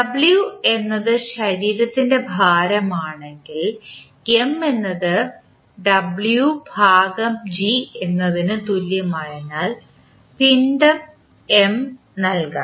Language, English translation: Malayalam, If w is the weight of the body then mass M can be given as M is equal to w by g